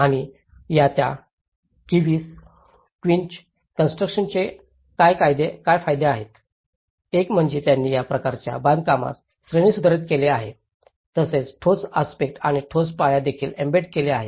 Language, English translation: Marathi, And what are the benefits of this quince constructions; one is they have upgraded this type of construction also embedded the concrete aspect and the concrete foundations